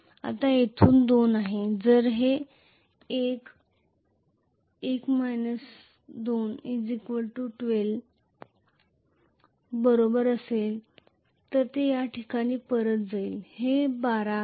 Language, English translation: Marathi, Now from here this is 2 so if this is equal to 14, 14 minus 2 equal to 12 so it is going to go back to this place which is 12